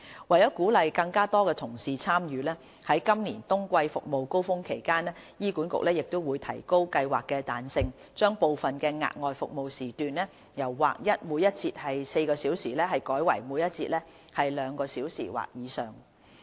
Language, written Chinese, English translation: Cantonese, 為鼓勵更多同事參與，於今年冬季服務高峰期間，醫管局會提高計劃的彈性，將部分額外服務時段由劃一每節4小時改為每節兩小時或以上。, In order to encourage more colleagues to join the scheme HA will convert some of the extra working sessions from the standard four - hour into two - hour or more during the winter surge this year thereby making the scheme more flexible